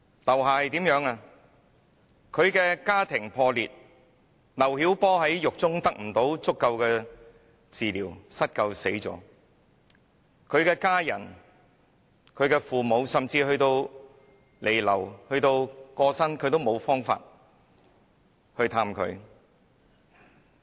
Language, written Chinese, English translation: Cantonese, 劉霞家庭破裂，丈夫劉曉波在獄中不獲足夠治療而失救死亡，他的家人、父母即使在他彌留至過世，也無法探望他。, LIU Xias family was broken . With insufficient treatment in prison LIU Xiaobo her husband was not saved in time and died . His family members and parents could not visit him even when he was on the verge of death